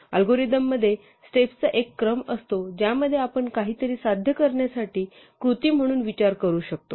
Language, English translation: Marathi, An algorithm consists of a sequence of steps which can we think of as a recipe in order to achieve something